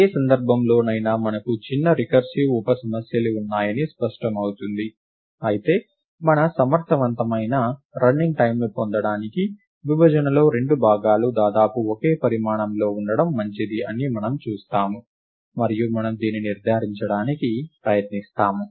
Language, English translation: Telugu, In either case it is clear that we have smaller recursive sub problems, but to get our efficient running time we will see that it is desirable to have the 2 parts in the partition to be of almost same size, and we will try to ensure this